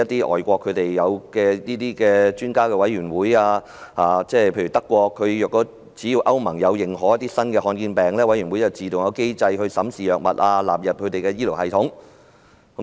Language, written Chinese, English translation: Cantonese, 外國便設有專家委員會，只要歐洲聯盟認可新的罕見疾病，有關委員會便會自動啟動機制審視藥物，並納入醫療系統內。, In the case of overseas countries for example expert committees have been set up . As long as the European Union acknowledges a new rare disease the relevant committees will automatically activate their drug assessment mechanisms and include the relevant drugs into their health care systems